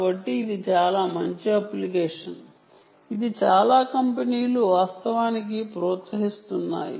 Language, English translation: Telugu, so this is a very nice application which many companies are actually promoting